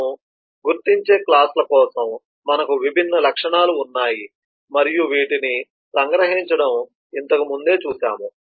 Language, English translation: Telugu, for classes that we identify we have different attributes and we had seen the extraction of these earlier